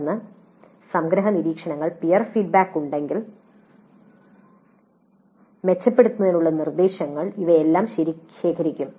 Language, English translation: Malayalam, Then summary observations, peer feedback if any, suggestions for improvement, all these are also collected